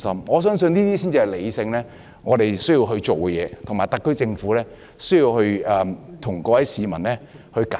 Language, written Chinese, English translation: Cantonese, 我相信這樣才是我們理性地需要做的事，特區政府需要向各位市民解釋。, I believe this is what we should do rationally . The SAR Government has to give explanations to the public